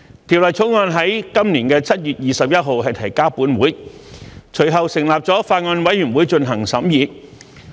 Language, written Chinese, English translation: Cantonese, 《條例草案》於今年7月21日提交本會，隨後本會成立了法案委員會進行審議。, The Bill was introduced into this Council on 21 July this year and a Bill Committee was subsequently formed to scrutinize it